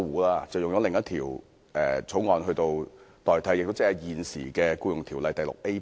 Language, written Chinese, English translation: Cantonese, 當局以另一些法例條文取代，即現時的《僱傭條例》第 VIA 部。, The authorities replaced Mr LEUNGs Bill with some other provisions which are currently contained in Part VIA of the Ordinance